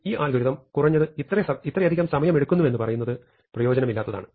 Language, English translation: Malayalam, It is not so useful to say that this algorithm takes at least so much time